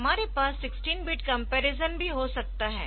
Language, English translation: Hindi, And we also have a 16 bit comparison